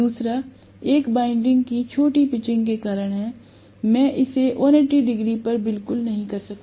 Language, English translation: Hindi, The second one is due to the short pitching of the winding; I may not do it exactly at 180 degrees